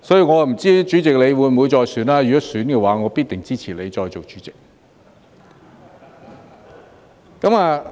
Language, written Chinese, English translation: Cantonese, 我不知道主席你會不會再參選，如果會的話，我必定支持你再做主席。, I am not sure whether you President will run for re - election and if you will I will definitely support you to be President again